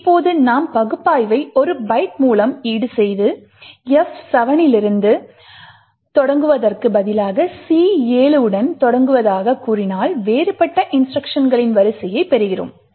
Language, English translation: Tamil, Now if we just offset our analysis by 1 byte and state that instead of starting from F7 we start with C7 then we get a different sequence of instructions